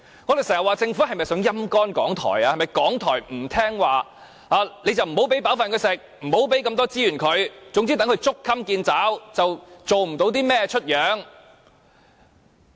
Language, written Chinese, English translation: Cantonese, 我們要問政府是否要"陰乾"港台，由於港台不聽話，所以便不給它吃飽，不提供資源，任其捉襟見肘，做不出甚麼來？, We would like to ask whether the Government is sapping RTHK for it is disobedient . By not providing RTHK with sufficient resources it is so hard - pressed for money that it cannot do anything